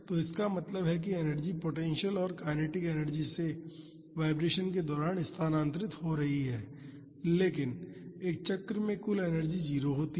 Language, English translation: Hindi, So, this means energy is transferring from potential and kinetic energy during the vibration, but the total energy in a cycle is 0